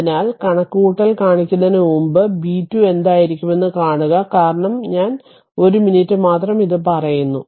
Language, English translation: Malayalam, So, before showing you the calculation, so if you see the what will be b 2 because same i say just 1 minute